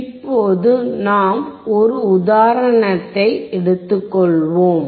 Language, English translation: Tamil, Now we will take an example